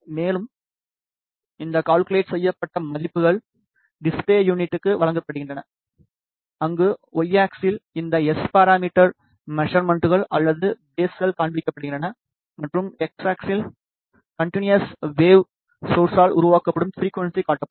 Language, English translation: Tamil, And, these calculated values are given to the display unit, where on the Y axis this S parameter magnitudes or phases are displayed and on the X axis the frequency which is generated by the continuous wave source is displayed